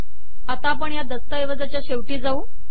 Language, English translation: Marathi, Then we go to the end of the document here